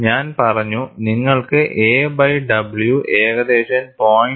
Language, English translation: Malayalam, And I had said, you will have a by w hovering around 0